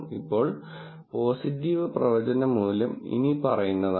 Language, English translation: Malayalam, Now, positive predictive value is the following